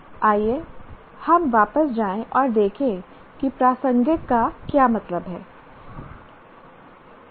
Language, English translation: Hindi, Let us go back and see what is meant by relevant